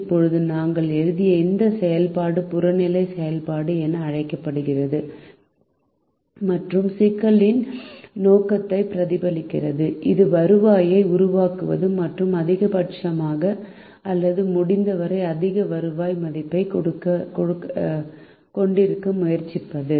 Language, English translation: Tamil, now this function that we wrote is called the objective function and represents the objective of the problem, which is to generate the revenue and to maximize or try to have as higher value of revenue as possible